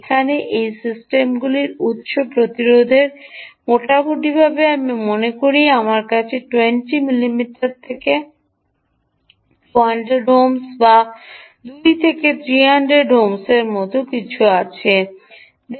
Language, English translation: Bengali, the source imp ah source resistance of these ah systems hm is roughly i think my from a memory two hundred ohms or something like two to three hundred ohms